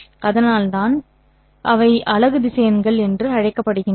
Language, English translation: Tamil, So, I have to multiply this one by the unit vector